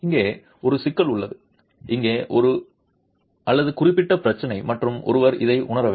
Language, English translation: Tamil, There is a problem here, a significant problem here and one has to be conscious of this